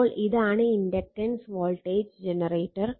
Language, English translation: Malayalam, So, mutual inductance and voltage generator